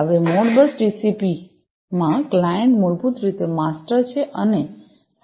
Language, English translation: Gujarati, Now, in Modbus TCP the clients are basically the masters and the servers are the slaves